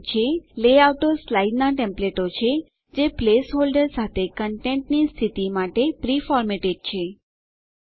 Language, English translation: Gujarati, Layouts are slide templates that are pre formatted for position of content with place holders